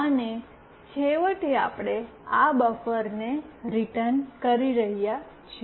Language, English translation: Gujarati, And finally, we are returning this buffer